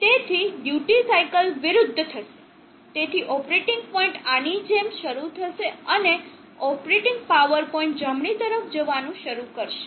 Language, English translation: Gujarati, So the duty cycle will reverse, so the operating point will start like this and the operating power point will start moving to the right